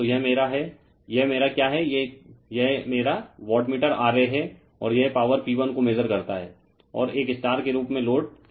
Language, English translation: Hindi, So, this is my , this is my your what you call that, watt this is my wattmeter and it measures the power P 1 and, load is taken as a star say